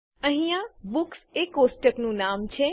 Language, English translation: Gujarati, Here Books is the table name